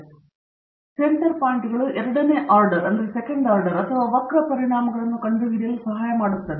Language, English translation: Kannada, So, the center points help to detect the second order or curvature effects